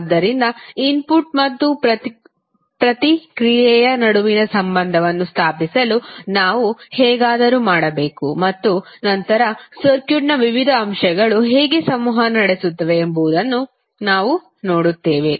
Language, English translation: Kannada, So, we have to somehow to establish the relationship between input and response and then we will see how the various elements in the circuit will interact